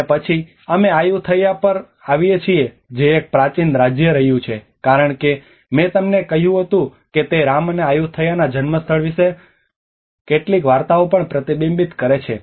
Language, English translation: Gujarati, And then we come to the Ayutthaya which is has been an ancient kingdom as I said to you it also reflects some stories about the Rama the birthplace of Rama and Ayutthaya